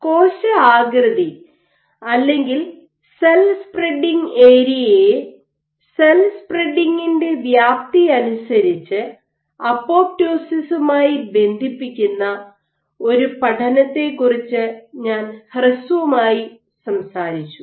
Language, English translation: Malayalam, I had briefly talked about one study which linked cell shaped or cell spreading area with apoptosis dictated by the extent of cell spreading